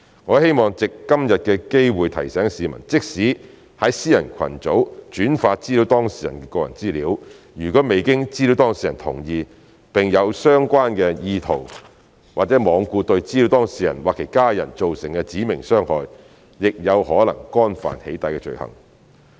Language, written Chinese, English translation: Cantonese, 我希望藉今天的機會提醒市民，即使在私人群組轉發資料當事人的個人資料，如果未經資料當事人同意，並有相關意圖或罔顧對資料當事人或其家人造成"指明傷害"，亦有可能干犯"起底"罪行。, I would like to take this opportunity to remind members of the public that even if the personal data of a data subject is forwarded to a private group without the consent of the data subject and with the intention or recklessness of causing specified harm to the data subject or his family he may still have committed the offence of doxxing